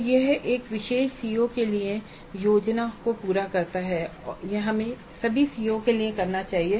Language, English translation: Hindi, So this completes the plan process for a particular CO and this we must do for all COs